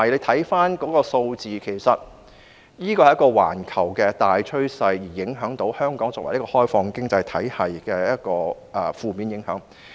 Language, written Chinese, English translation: Cantonese, 大家看回數字，這是一個環球大趨勢，是香港作為一個開放型經濟體系所受到的負面影響。, Let us look at the figures again . This is a global trend . Hong Kong being an open economy has been negatively affected by this trend